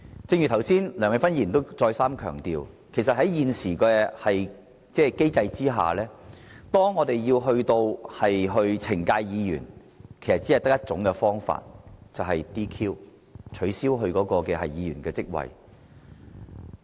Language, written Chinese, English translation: Cantonese, 正如剛才梁美芬議員再三強調，在現行機制下，當我們要懲戒議員，其實只有 "DQ" 這種方法，取消該議員的席位。, Just now Dr Priscilla LEUNG has repeatedly emphasized that under the existing mechanism when we wish to punish a Member the only available approach is to disqualify him from office and strip him of his seat